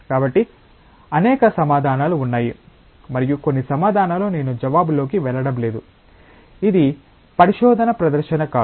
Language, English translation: Telugu, So, there are several possible answers and some of the answers I am not going into the answer, this is not research presentation